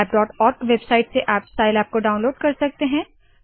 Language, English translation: Hindi, You can download scilab from the scilab.org website